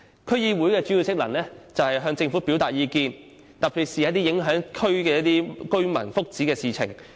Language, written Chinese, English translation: Cantonese, 區議會的主要職能是向政府表達意見，特別是一些影響區內居民福祉的事情。, The main function of DC is to convey views to the Government especially on issues affecting the welfare of residents in the districts